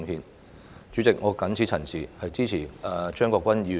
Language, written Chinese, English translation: Cantonese, 代理主席，我謹此陳辭，支持張國鈞議員的議案。, With these remarks Deputy President I support Mr CHEUNG Kwok - kwans motion